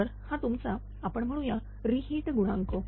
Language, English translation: Marathi, So, this is your we call reheat coefficient right